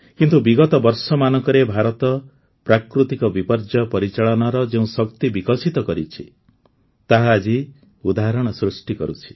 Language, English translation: Odia, Friends, no one has any control over natural calamities, but, the strength of disaster management that India has developed over the years, is becoming an example today